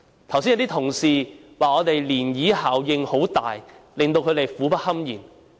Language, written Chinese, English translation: Cantonese, 剛才有些同事說漣漪效應很大，令到他們苦不堪言。, Some Honourable colleagues said just now that the ripple effect is significant and that they are suffering from it